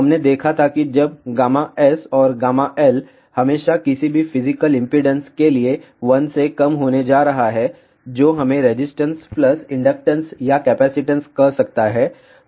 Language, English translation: Hindi, We had seen that since gamma S and gamma L are always going to be less than 1 for any physical impedance which can be let us say resistance plus inductance or capacitance